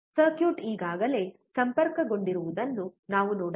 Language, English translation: Kannada, We can see that the circuit is already connected